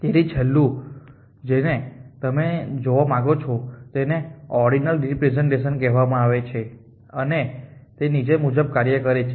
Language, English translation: Gujarati, So, the last one that you on look at is called ordinal representation and it work as follows